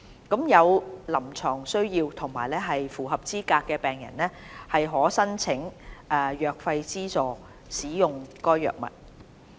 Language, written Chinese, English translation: Cantonese, 有臨床需要及符合資格的病人可申請藥費資助使用該藥物。, Patients with clinical needs and meeting specified criteria may apply for drug subsidy to use this drug